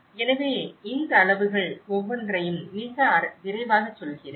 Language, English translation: Tamil, So, I will briefly go through each of these scales very quickly